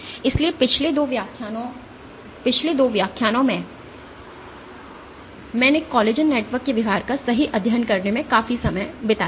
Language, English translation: Hindi, So, over the last 2 lectures I had spent considerable amount of time in studying the behavior of collagen networks right